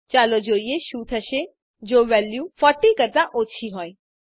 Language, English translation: Gujarati, Let us see what happens if the value is less than 40